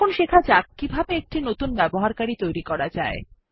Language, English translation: Bengali, Let us first learn how to create a new user